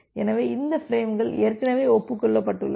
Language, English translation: Tamil, So, this frames has been already acknowledged